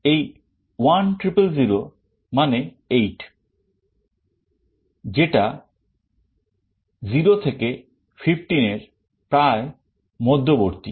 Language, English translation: Bengali, This 1 0 0 0 means 8, which is approximately the middle of the range 0 to 15